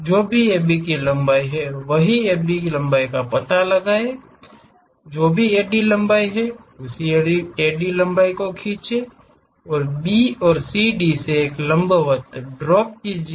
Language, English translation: Hindi, Whatever the AB length is there, locate the same AB length whatever the AD length look at the same AD length drop perpendiculars from B and CD